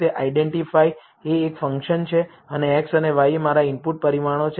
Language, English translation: Gujarati, So, identify is a function and x and y are my input parameters